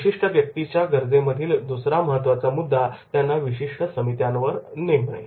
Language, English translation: Marathi, Second important point in the specific individual need is there is the committee assignments